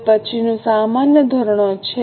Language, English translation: Gujarati, Now the next is normal standards